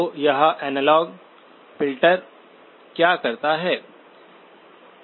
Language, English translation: Hindi, So what does this analog filter do